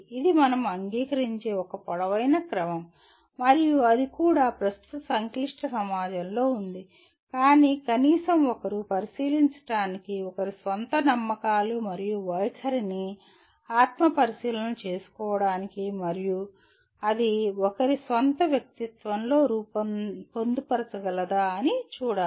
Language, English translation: Telugu, This is a tall order we agree, and that too in a present day complex society but at least one should make an attempt to inspect, to introspect on one’s own believes and attitudes and see whether it can be incorporated into one’s own personality